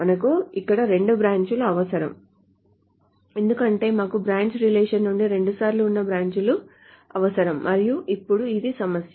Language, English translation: Telugu, We require actually two branches here because we need branches from the branch relation twice